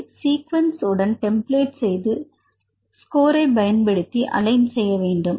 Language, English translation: Tamil, And then align the sequence with the template using score